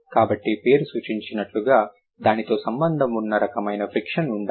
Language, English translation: Telugu, So, as the name suggests there must be some kind of friction associated with it